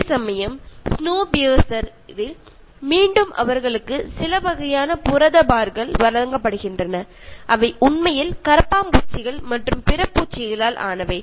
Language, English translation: Tamil, Whereas, in Snowpiercer again they are given some kind of protein bars which are actually made of cockroaches and other insects